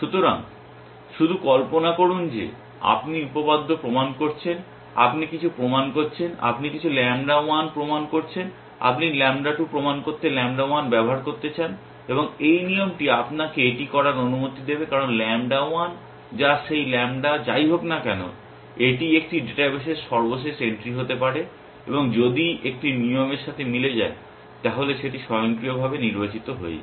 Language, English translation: Bengali, So, just imagine you are doing theorem proving, you are proving something, you have proved some lambda 1 then, you want to use lambda 1 to prove lambda 2 and this rule will allow you to do that because lambda 1 which is whatever that lambda is could be the latest entry into a database and if a rule is matching that, that will automatic get selected